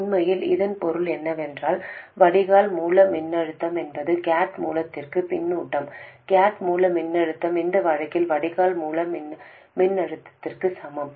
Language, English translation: Tamil, What it really means is that the Drain Source voltage is fed back to the gate source voltage, the gate source voltage equals the drain source voltage in this case